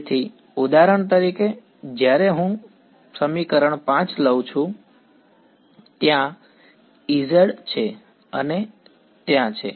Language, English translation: Gujarati, So, for example, when I take equation 5 there is E z and there is